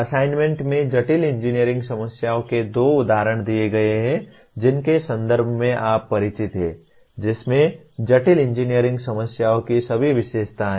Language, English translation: Hindi, The assignments include, give two examples of complex engineering problems in the context you are familiar with, that have all the characteristics of complex engineering problems